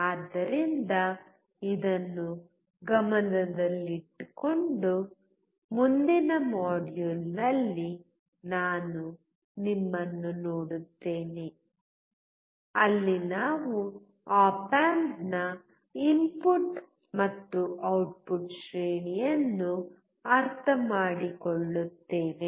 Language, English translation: Kannada, So keeping this in mind, I will see you in the next module, where we will understand the input and output range of op amps